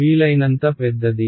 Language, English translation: Telugu, As large as possible